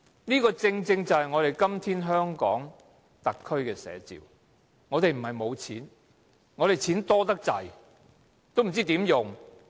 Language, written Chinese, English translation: Cantonese, 這正正是今天香港特區的寫照，我們不是沒有錢，我們的錢太多，不知怎樣花。, This is an apt depiction of SAR today . We have no lack of money . We have too much of it and we know not how to spend it